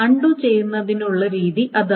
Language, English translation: Malayalam, That is the way of doing the undo